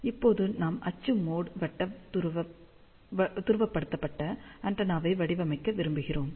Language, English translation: Tamil, Now, we want to design for axial mode circularly polarized antenna